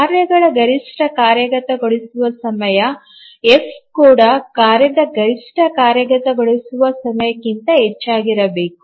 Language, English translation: Kannada, So the maximum execution time of the tasks even that the F should be greater than even the maximum execution time of a task